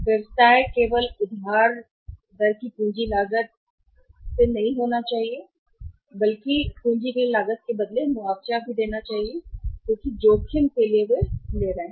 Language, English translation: Hindi, The business should not be compensated only for the cost of capital of the borrowing rate rather they should be compensated for the risk they are taking